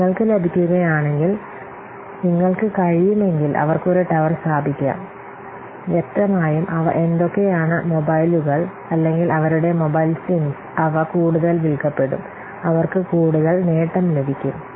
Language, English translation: Malayalam, So if you will get, if you can, they can put a tower, then obviously they are what mobiles will be, or the, yes, their mobile assumes they will be sold more and obviously they will get more benefit